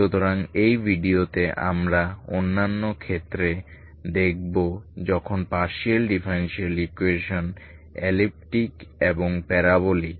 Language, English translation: Bengali, So in this video we will see other cases when the partial differential equation is elliptic and parabolic case how do you reduce